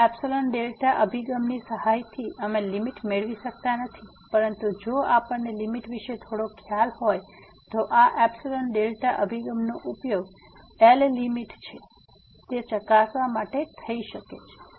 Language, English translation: Gujarati, With the help of this epsilon delta approach, we cannot just get the limit; but if we have some idea about the limit, then this epsilon delta approach may be used to verify that L is the limit